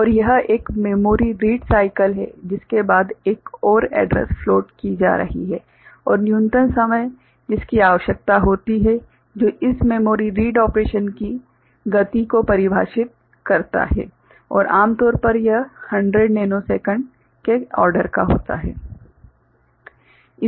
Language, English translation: Hindi, And this is one memory read cycle after that another address can be floated and the minimum time that is required that defines the speed of this memory read operation and typically it is of the order of 100 nanosecond